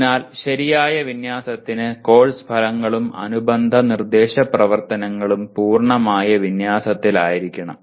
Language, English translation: Malayalam, So proper alignment requires course outcomes and related instructional activity should be in complete alignment